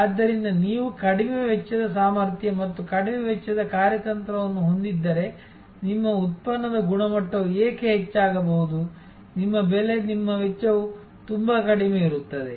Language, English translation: Kannada, So, if you have a low cost capability and low cost strategy, it is possible that why your product quality will be pretty high, your price your cost will be quite low